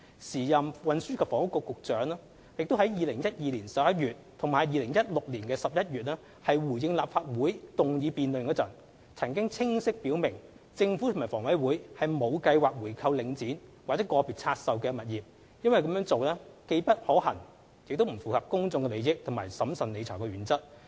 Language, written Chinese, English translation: Cantonese, 時任運輸及房屋局局長於2012年11月及2016年11月的立法會議案辯論中回應時，曾清晰表明政府及房委會沒有計劃回購領展或個別拆售物業，因為這做法既不可行亦不符合公眾利益和審慎理財的原則。, In responding to the motion debates in the Legislative Council in November 2012 and November 2016 the then Secretary for Transport and Housing clearly stated that the Government and HA had no plan to buy back Link or individual divested properties as this would be incompatible with public interests and the principle of prudent financial management